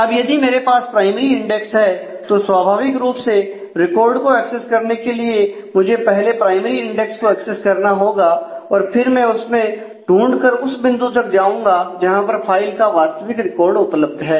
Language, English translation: Hindi, Now, if I have a primary index then naturally to be able to access the records I will have to first access the primary index and then do a search in that and then traverse the point at to go to the actual record in the file